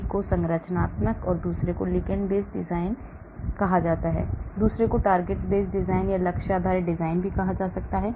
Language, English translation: Hindi, One is called the structure and ligand based design, another is called the target based design